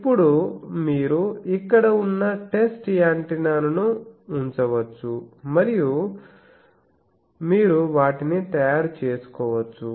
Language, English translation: Telugu, So now you can put the test antenna it is here and you can make your things